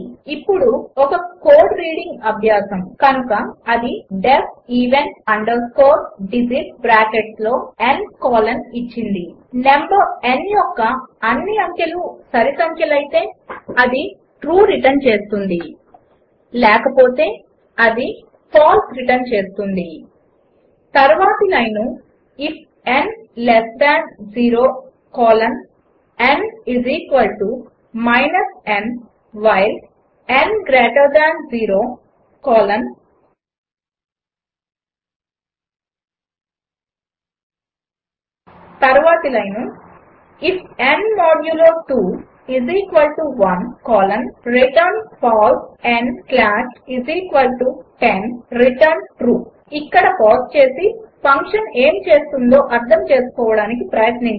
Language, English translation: Telugu, Now one more code reading exercise, So it is given def even underscore digits within bracket n colon returns True if all the digits in the number n are even, returns False if all the digits in the number n are not even Then next line if n less than 0 colon n = n while n greater than 0 colon The next line if n modulo 2 == 1 colon return False n slash= 10 return True Pause here and figure out what the function what does